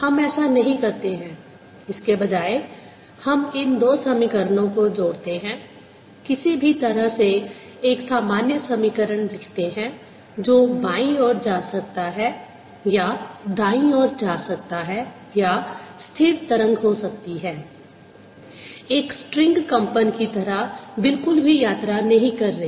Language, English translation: Hindi, instead, we combine this two equation, write a generally equation for any way which is travelling to the left or travelling to the right of the stationary wave not travelling at all, like a string vibrating